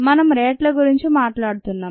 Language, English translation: Telugu, note that we are talking of rates